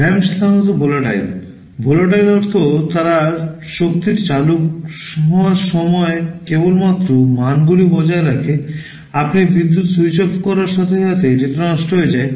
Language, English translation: Bengali, RAM are typically volatile, volatile means they retain the values only during the time the power is switched on, as soon as you switch off the power the data gets lost